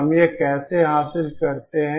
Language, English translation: Hindi, How do we achieve this